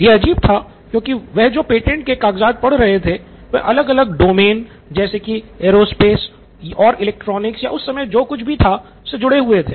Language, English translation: Hindi, So this was crazy because the patents that he was looking at reading were from different domains aerospace and electronics or whatever was invoke at that time